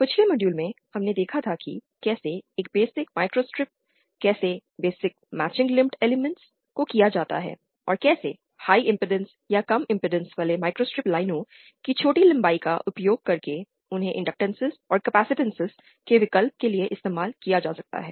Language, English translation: Hindi, In the previous module we had saw how a basic microstrip, how basic matching lumped elements can be done and how using short lengths of high impedance or low impedance microstrip lines they can be used to substitute for inductances and capacitances